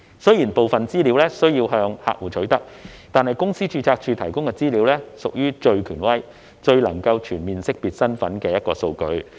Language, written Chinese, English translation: Cantonese, 雖然部分資料需要向客戶取得，但公司註冊處提供的資料卻屬於最權威、最能全面識別身份的數據。, Although some information needs to be obtained from the customers the Companies Registry provides the most authoritative information for the identity of an individual to be fully ascertained